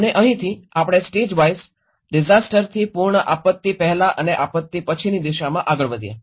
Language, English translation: Gujarati, And from here, we moved on with the stagewise disaster from pre disaster to the post disaster